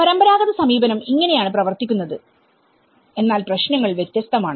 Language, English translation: Malayalam, So this is how the traditional approach works but the problems are different